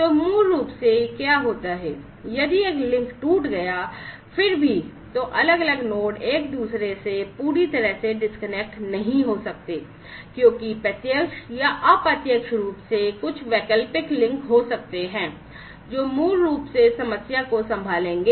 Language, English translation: Hindi, So, basically what happens is if one link has broken, still, then the different nodes may not be completely you know disconnected from one another, because there might be some alternate links directly or indirectly, which will basically handle the problem